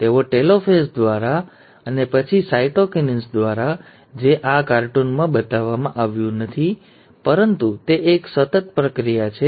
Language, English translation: Gujarati, And, by the telophase, and then, followed by cytokinesis, which have not shown in this cartoon, but it is like a continuous process